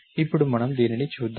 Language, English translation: Telugu, Now, let us we see this one